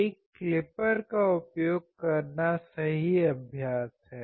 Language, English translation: Hindi, Using a clipper is the right practice